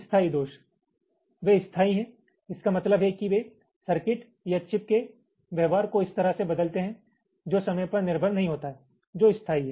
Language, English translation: Hindi, the permanent faults: as the name implies, they are permanent means they change the behaviour of a circuit or a chip in a way which is not dependent on time, which is permanent